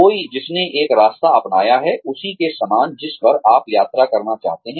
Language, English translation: Hindi, Somebody, who has adopted a path, similar to the one, you want to travel on